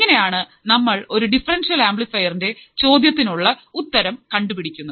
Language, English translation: Malayalam, So, this is how we can solve the problem for the differential amplifier